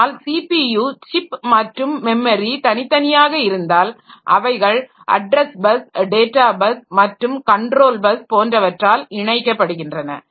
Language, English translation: Tamil, But if this CPU chip and memory chip they are separate, they are connected by a bus, the address bus, data bus, control bus and etc